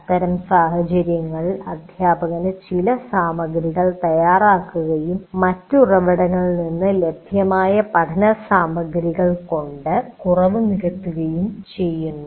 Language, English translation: Malayalam, In such case, the teacher prepares some material and supplements the learning material available from the other sources